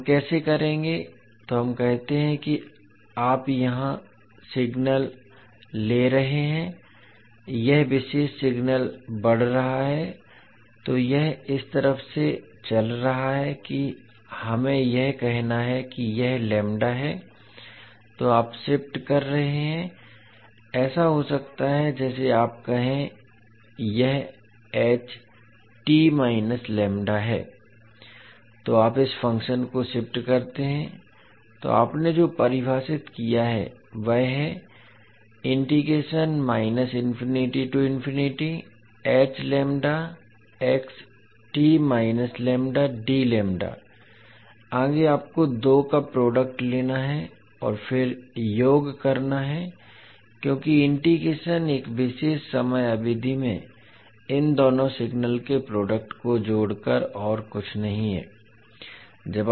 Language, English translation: Hindi, So you will shift this particular function so what you have defined, the integral h lambda multiplied by xt minus lambda so what you have to do now, you have to take the product of two and then sum up because integration is nothing but the summing up the product of these two signal over a particular time period